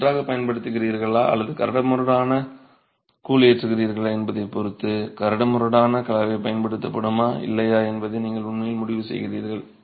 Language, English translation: Tamil, And depending on whether you are going with a fine grout or a coarse grout, you actually will decide whether a fine, whether a coarse aggregate is going to be used or not